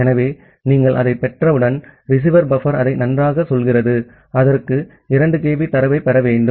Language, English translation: Tamil, So, once you are getting that so, the receiver buffer it says you that well, it has to received 2 kB of data